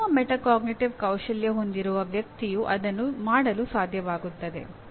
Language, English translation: Kannada, And a person with good metacognitive skills will be able to do that